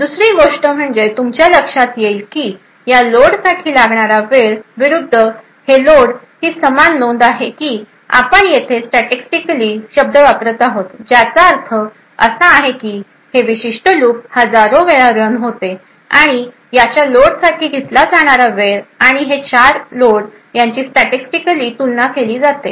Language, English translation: Marathi, The second thing you would notice is that the time taken for these loads versus these loads is approximately the same note that we are using the word statistically over here which would means this particular loop is run several thousands of times and the time taken for these four loads and these four loads are compared statistically right for example taking the average variance and so on